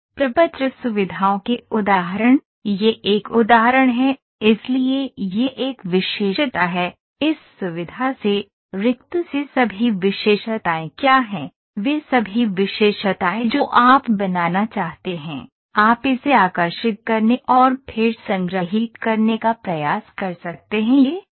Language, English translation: Hindi, The examples of form features, the this is an example, so this is a feature, from this feature what are all the features from from the blank to what are all the features you want to make, you can try to draw it and then try to store it